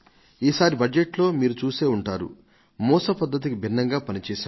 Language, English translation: Telugu, You must have noticed in the Budget that we have decided to do something unconventional